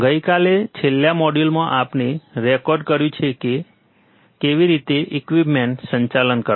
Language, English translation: Gujarati, Yesterday, in the last module actually we have recorded few of the equipment, right how to operate this equipment